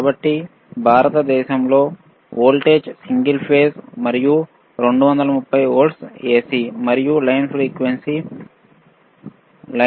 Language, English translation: Telugu, So, the voltage in India is single phase and 230 volts AC, and the line frequency is 50 hertz